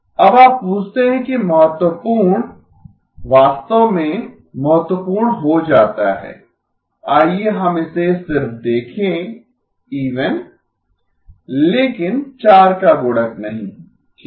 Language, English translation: Hindi, Now you ask that significant actually turns out to be significant, let us just look at it even but not multiple of 4 okay